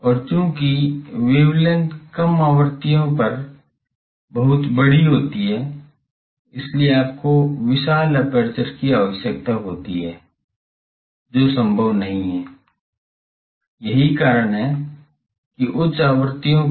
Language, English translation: Hindi, And since the wavelengths are very large at low frequencies, so you require huge apertures, which is not possible; that is why at high frequencies